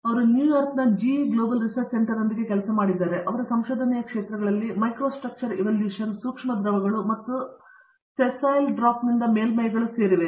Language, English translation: Kannada, He has worked with GE Global Research Center in New York and his areas of research include Microstructure evolution, Microfluidics and Wetting of surfaces by Sessile Drops